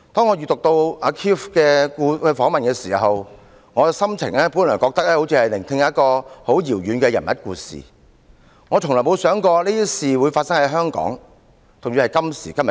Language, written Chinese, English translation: Cantonese, 我以前讀到 Keith 的訪問報道時，心情本來是像聆聽一個遙遠地方人物的故事，卻從來沒有想過這些事會發生在今天的香港。, In the past when I read Keiths interview reports I felt like listening to stories of people in a distant place . I have never imagined that such stories would happen in Hong Kong today